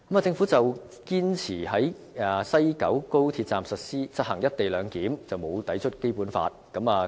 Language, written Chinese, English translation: Cantonese, 政府堅持在西九高鐵站實行"一地兩檢"並無抵觸《基本法》。, The Government insists that the implementation of the co - location arrangement at the West Kowloon Station of XRL is not a contravention of the Basic Law